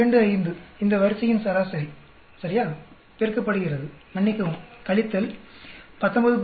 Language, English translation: Tamil, 25 is the average of this row right, multiplied ,sorry minus 19